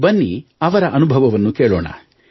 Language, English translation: Kannada, let's listen to his experiences